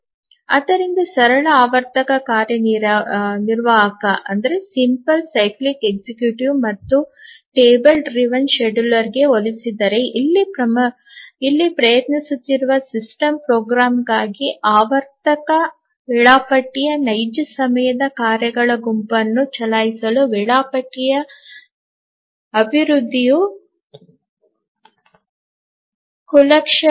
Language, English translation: Kannada, So, compared to the simple cyclic executive and the table driven scheduler, here for the system programmer who is trying to run a set of real time tasks on a cyclic scheduler, the development of the schedule is non trivial